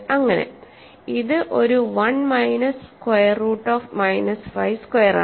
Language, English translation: Malayalam, So, this is 1 minus minus 5, this is 1 plus 5 which is 6